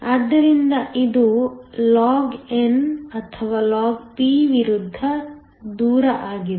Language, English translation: Kannada, So, this is log or log versus distance